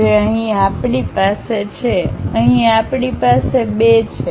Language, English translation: Gujarati, So, here 3 we have, here we have 2